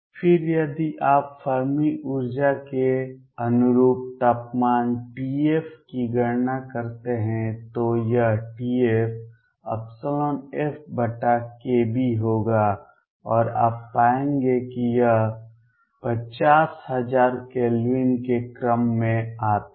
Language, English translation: Hindi, Then if you calculate the temperature T f corresponding to the Fermi energy it will come out to be T f, will be equal to e f over k Boltzmann and you will find that is comes out to the order of 50000 Kelvin